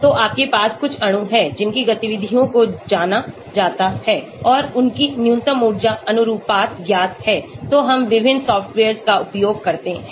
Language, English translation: Hindi, So you have certain molecules whose activities are known and their minimum energy conformations are known so we use different softwares